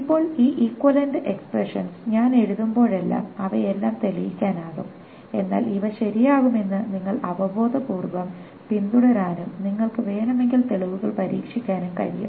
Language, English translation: Malayalam, Now, whenever I am writing down this equivalent expressions, all of them can be proved, but you can at least intuitively follow that these are going to be correct and the proofs if you want, you can try